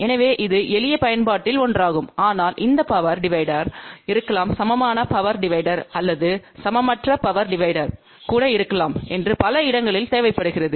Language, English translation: Tamil, So, that is one of the simple application, but this power divider may be required at many other places which maybe a equal power divider or even un equal power divider